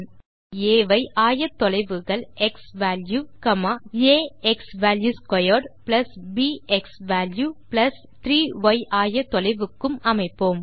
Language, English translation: Tamil, Plot a point A with coordinates xValue, a xValue^2 + b xValue + 3 for the y coordinate